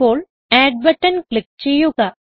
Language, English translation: Malayalam, Now lets click on Add button